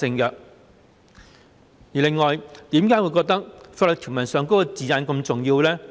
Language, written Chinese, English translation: Cantonese, 此外，為何我覺得法律條文的字眼是如此重要呢？, On the other hand why do I consider the wording of legal provisions so important?